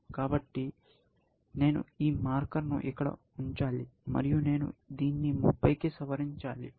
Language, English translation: Telugu, So, I have to put this marker here, and I have to revise it to 30